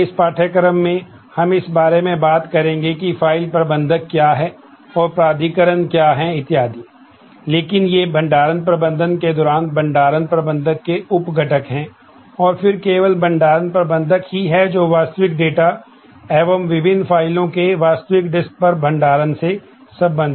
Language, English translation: Hindi, Later in this course, and we will then talk about what is a file manager and what is authorization and so on, but these are the sub components of the storage management needs to do and then the storage manager is the only one who deals with the actual data, the actual disk storage the different files and so on